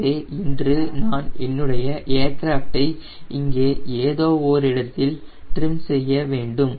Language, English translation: Tamil, so today i want to trim my aircraft somewhere here and what is that condition